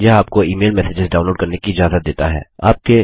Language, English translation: Hindi, It also lets you manage multiple email accounts